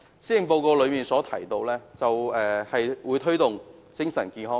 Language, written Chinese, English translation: Cantonese, 施政報告提出會推動精神健康。, The Policy Address proposes to promote mental health